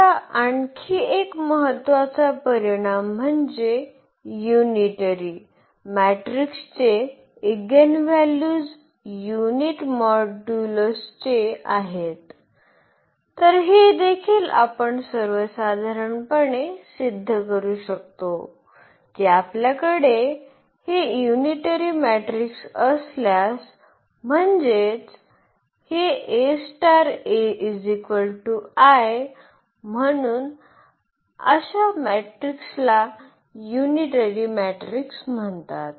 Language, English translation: Marathi, Now, another important result that the eigenvalues of unitary matrix are of unit modulus, so this also we can prove in general that if you have this unitary matrix; that means, this A star A is equal to is equal to identity matrix, so such matrices are called the unitary matrix